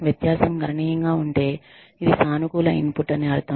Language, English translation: Telugu, If the difference is significant, that means, that this has been a positive input